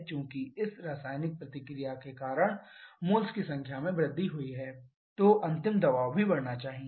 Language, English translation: Hindi, As a number of moles has increased because of this chemical reaction then the final pressure also should increase